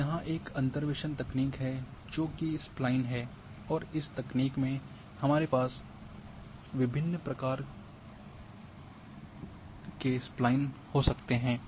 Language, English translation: Hindi, Now here this is another interpolation technique which is Spline and in this technique we can have different variants of Spline